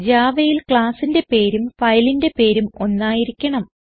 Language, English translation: Malayalam, In Java, the name of the class and the file name should be same